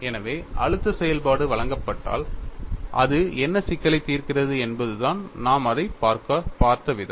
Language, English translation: Tamil, So, if the stress function is given, what problem it solves that is the way we are looked at it and how do you arrived the stress function